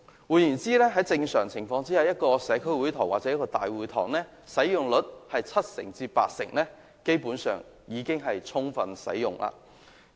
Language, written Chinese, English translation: Cantonese, 換言之，在正常情況下，如果一個社區會堂或大會堂的使用率達七至八成，基本上已是充分使用。, In other words under normal circumstances if the utilization rate of a community hall or town hall is 70 % to 80 % it can basically be regarded as fully utilized